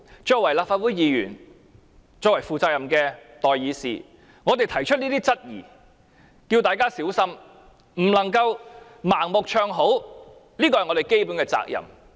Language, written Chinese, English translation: Cantonese, 作為立法會議員，作為負責任的代議士，我們提出這些質疑，呼籲大家小心，不能盲目唱好，這是我們的基本責任。, Being Members of the Legislative Council and responsible representatives of public views we put forward such queries and urge people to be careful . We cannot blindly sing praises for the project . This is our basic obligation